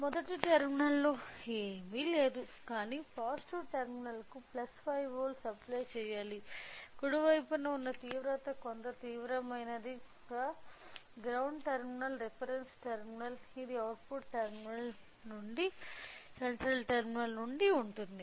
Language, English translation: Telugu, So, the first terminal is nothing, but positive terminal which is you know plus 5 volts we have to apply; the extreme on the right side right some extreme is a ground terminal reference terminal, the output it will be from the central terminal